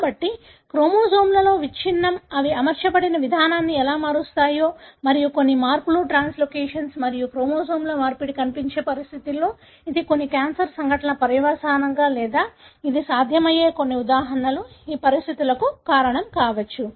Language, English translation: Telugu, So, these are some of the examples how breakage in the chromosomes can alter the way they are arranged and majority of such changes, translocations and exchange of the chromosomes are seen in conditions where either i it is the consequence of some cancerous event or it could be the cause of the event